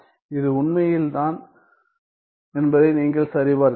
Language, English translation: Tamil, You can check that this is indeed the case